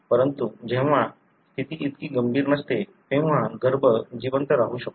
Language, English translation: Marathi, But, when the condition is not so severe, then the embryo can survive